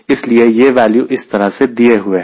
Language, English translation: Hindi, that is why these values are given in this fashion